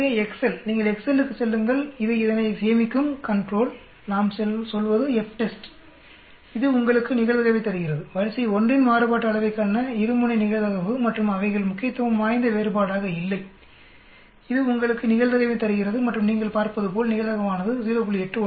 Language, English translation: Tamil, So Excel, you go to Excel it will save this, control, we say FTEST it gives you the probability, the two tailed probability to variance of array 1 and are not significantly different, it gives you the probability and as you can see the probability is 0